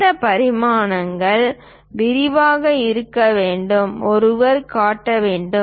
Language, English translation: Tamil, These dimensions supposed to be in detail one has to show